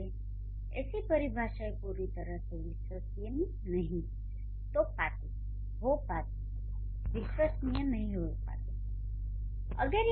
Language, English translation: Hindi, That is why such kind of definitions may not be completely reliable